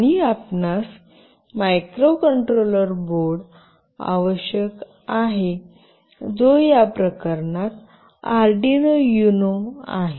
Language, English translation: Marathi, And you need a microcontroller board, which in this case is Arduino Uno